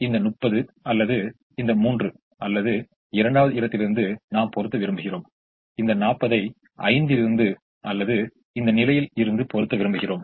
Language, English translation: Tamil, similarly, as much of this thirty i would like to meet from this three or the second position and as much of this forty from five or from this position